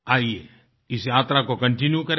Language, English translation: Hindi, Come, let us continue this journey